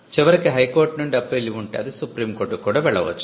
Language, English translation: Telugu, And eventually if there is an appeal from the High Court, it can go to the Supreme Court as well